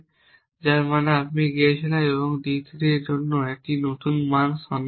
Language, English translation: Bengali, What is the point of looking for new value for d 3